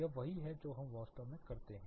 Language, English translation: Hindi, This is what actually we do